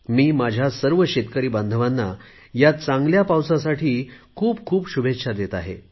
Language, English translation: Marathi, I extend my greetings to all our farmer brethren hoping for a bountiful rainfall